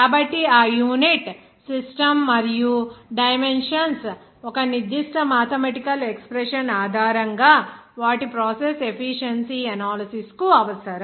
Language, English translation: Telugu, So that unit system and dimensions it is required to know for the analysis of their process efficiency based on a certain mathematical expression